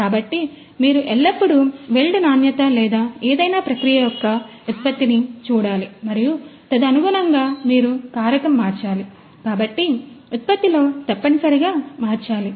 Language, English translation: Telugu, So, you always need to look at the weld quality or the you know the product of the of any process and accordingly you have to change the parameter so, that in terms of essentially in the product